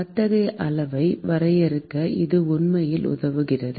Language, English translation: Tamil, It really helps in defining such kind of a quantity